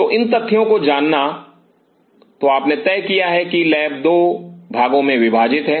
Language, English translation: Hindi, So, an knowing these facts So, you have decided that the lab is divided in 2 parts